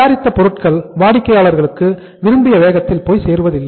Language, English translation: Tamil, Product is not moving to the customers as at the desired pace